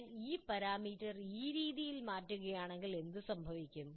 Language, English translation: Malayalam, If I change this parameter this way, what happens